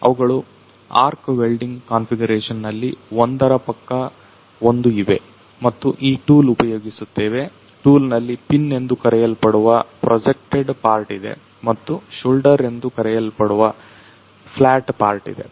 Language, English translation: Kannada, So, they are placed side by side in an arc welding configuration and we make use of this the tool, tool has got a projected part which is called the pin and the flat part which is called the shoulder ok